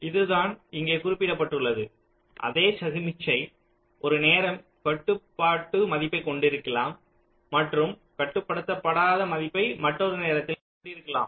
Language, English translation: Tamil, so this is what is mentioned here: the same signal can have a controlling value at one time and non controlling value at another time